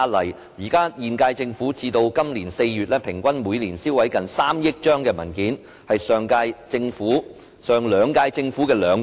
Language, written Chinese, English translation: Cantonese, 截至今年4月，現屆政府每年平均銷毀近3億張文件，是上兩屆政府的兩倍。, As at April this year the current - term Government has destroyed an average of nearly 300 million sheets of documents a year which was double the number in any of the two previous terms of Government